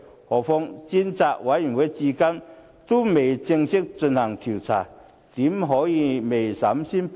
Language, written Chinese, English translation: Cantonese, 何況專責委員會至今仍未正式進行調查，怎可以未審先判？, As formal inquiry has yet to be conducted by the Select Committee how can they deliver a judgment before trial?